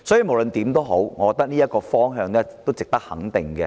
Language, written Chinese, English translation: Cantonese, 無論如何，我覺得這個方向是值得肯定的。, In any case I think this direction of development is worth commendation